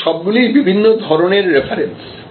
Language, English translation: Bengali, All these are different types of references